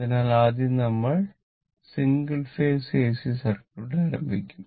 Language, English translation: Malayalam, So, first we will now we will start with Single Phase AC Circuit, right